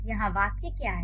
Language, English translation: Hindi, So what is the sentence here